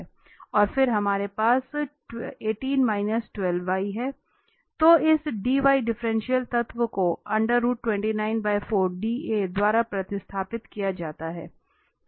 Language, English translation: Hindi, And then we have 18 and we have this 12 y, then this differential element is replaced by the square root 29 by 4 dA